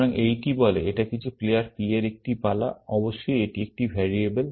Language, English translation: Bengali, So, this one says, it is a turn of some player P, of course, this is a variable